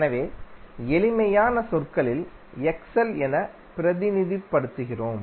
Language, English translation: Tamil, So in simple term we represent it like XL